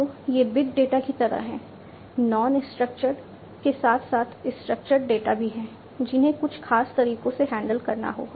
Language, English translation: Hindi, So, these are like big data, non structured as well as structured data, which will have to be handled in certain ways